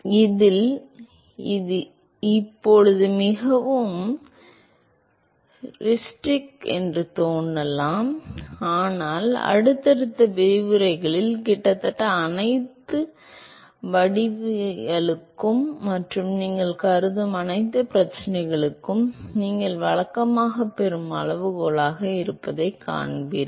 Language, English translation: Tamil, And in this it may appear very heuristic right now, but you will see that in the subsequent lectures that almost all the geometries and all the problem you consider this is the kind of scaling that you would usually get